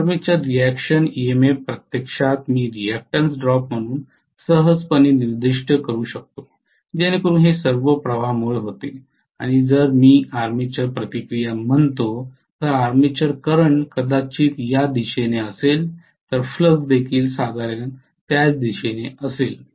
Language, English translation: Marathi, This armature reaction EMF actually I can specify as a reactance drop as simple as that because after all it is due to flux and if I say armature reaction, armature current is probably along this direction the flux will also be along the same direction roughly